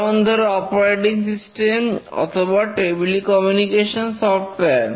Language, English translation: Bengali, For example, an operating system or a telecommunication software